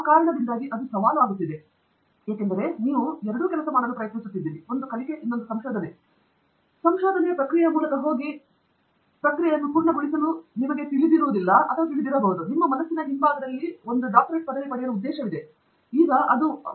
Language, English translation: Kannada, It becomes challenging for that reason because you are both trying to work to, you know, go through the process, and you know complete the process, and if in the back of your mind, the intention was to get a degree, then that is also there ahead of you